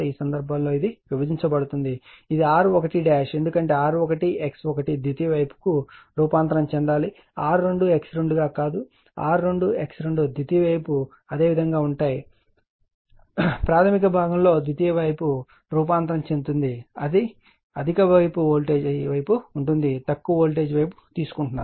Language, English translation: Telugu, In this case it will be divided that is R 1 dash will be that is because R 1 X 1 you have to transform to the secondary side not R 2 X 2, R 2 X 2 will remaining the secondary side all the in primary side your transforming the secondary side there is high voltage side you are taking the low voltage side